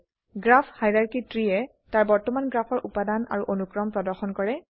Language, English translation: Assamese, Graph hierarchy tree displays the current graph components and their hierarchy